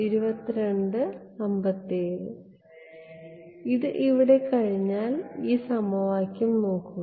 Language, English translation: Malayalam, With this over here look at this equation over here